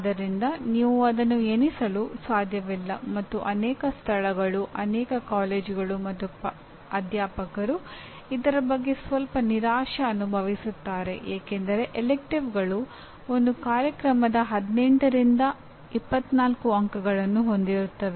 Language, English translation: Kannada, So you cannot count that and many places, many colleges and faculty feel a little disappointed with this because electives do constitute anywhere from 18 to 24 credits of a program